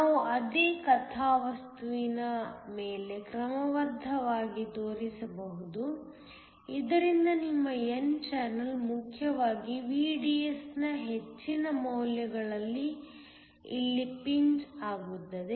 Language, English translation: Kannada, We can show that is schematically on the same plot so that your n channel as essentially pinched off here at high values of VDS